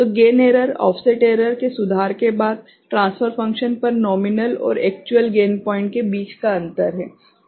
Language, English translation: Hindi, So, the gain error is the difference between the nominal and actual gain points on the transfer function after offset error correction